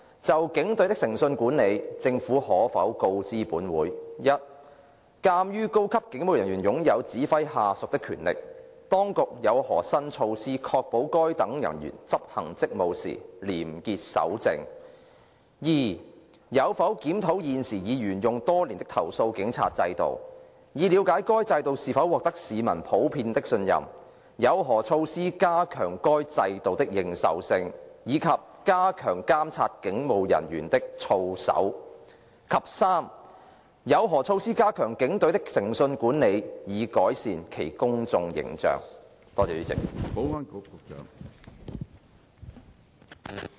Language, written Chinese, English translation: Cantonese, 就警隊的誠信管理，政府可否告知本會：一鑒於高級警務人員擁有指揮下屬的權力，當局有何新措施確保該等人員執行職務時廉潔守正；二有否檢討現時已沿用多年的投訴警察制度，以了解該制度是否獲得市民普遍的信任；有何措施加強該制度的認受性，以及加強監察警務人員的操守；及三有何措施加強警隊的誠信管理及改善其公眾形象？, Regarding the integrity management of the Police Force will the Government inform this Council 1 as senior police officers are vested with the power to give orders to their subordinates of the new measures that the authorities have put in place to ensure such officers probity when they discharge their duties; 2 whether it has reviewed the current police complaints system which has been in operation for many years to see if the system is generally trusted by the public; of the measures in place to enhance the credibility of the system and to step up the monitoring of the conduct of police officers; and 3 of the measures put in place to strengthen the integrity management of the Police Force and improve its public image?